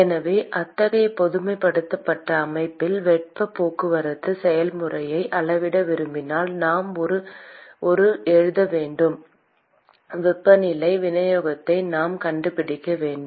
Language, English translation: Tamil, So, if we want to quantify heat transport process in such a generalized system, we need to write a we need to find the temperature distribution